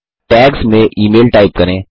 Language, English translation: Hindi, In Tags type email